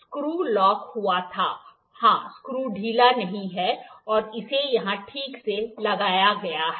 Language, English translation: Hindi, The screw was locked, yeah the screw is not loosened and it is fixed properly here